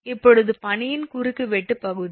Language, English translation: Tamil, Now the cross sectional area of the ice